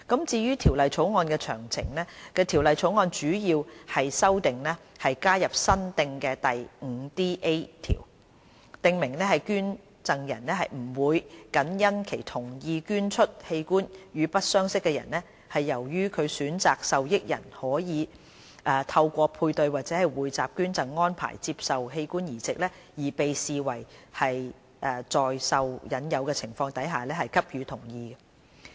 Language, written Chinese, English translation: Cantonese, 至於《條例草案》的詳情，《條例草案》的主要修訂是加入新訂的第 5DA 條，訂明捐贈人不會僅因其同意捐出器官予不相識的人，是由於其選擇的受益人可以透過配對或匯集捐贈安排接受器官移植，而被視為在受引誘的情況下給予同意。, On the details of the Bill the major amendment introduced by the Bill is the addition of a new section 5DA which stipulates that a donor is not to be regarded as having given consent with the offer of inducement only because the donors consent has been given to donate an organ to a stranger in consideration of a proposed transplant into the donors intended beneficiary under a paired or pooled donation arrangement . Paired or pooled donation arrangement involves transplant between living non - related persons